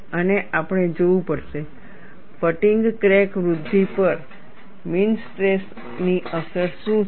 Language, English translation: Gujarati, And we will have to see, what is the effect of mean stress on fatigue crack growth